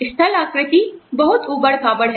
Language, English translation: Hindi, The topography is very rugged